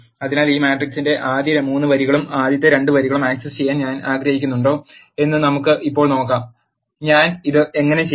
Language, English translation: Malayalam, So, let us now see if I want to access the first 3 rows and the first 2 columns of this matrix, how do I do this